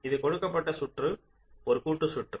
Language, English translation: Tamil, this is the circuit which is given, this combination circuit